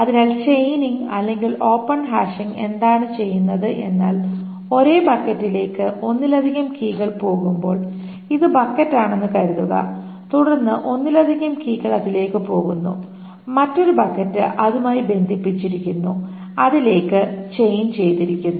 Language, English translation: Malayalam, So chaining, what does chaining or open hashing does is that when there are multiple keys that are going to the same bucket, so this is the bucket and then there are multiple keys going to it, another bucket is linked to it, chained to it, so the next key that falls to the same bucket is sent to the bucket that is changed to it